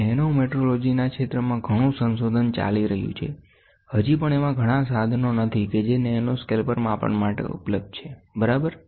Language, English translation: Gujarati, And there is lot of research going on in research in the area of nanometrology, still there are not many tools which are available at nanoscales for measurements, ok